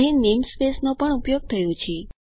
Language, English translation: Gujarati, namespace is also used here